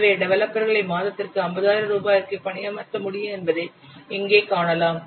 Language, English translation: Tamil, Assume that the competent developers can be hired at 50,000 per month